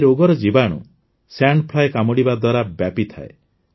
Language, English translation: Odia, The parasite of this disease is spread through the sting of the sand fly